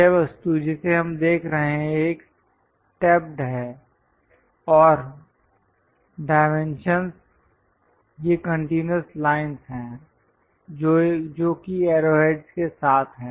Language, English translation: Hindi, This is the object what we are looking at is a stepped one and the dimensions are these continuous lines with arrow heads